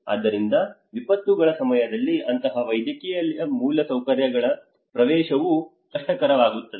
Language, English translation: Kannada, So in the time of disasters, even access to that kind of medical infrastructures also becomes difficult